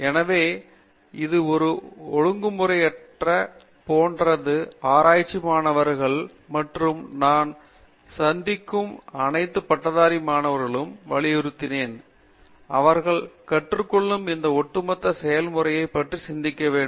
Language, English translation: Tamil, So, this is the process of research which I think spans all like in a discipline and I do emphasize our students and all graduate students that I meet, that they should think about this overall process which they are learning